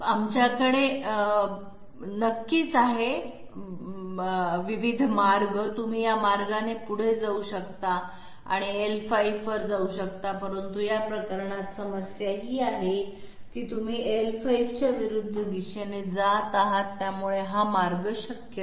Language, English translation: Marathi, We can definitely have, you can move this way and move to L5, but see in this case the problem is you are ending up in opposite direction of L5, so this path is not possible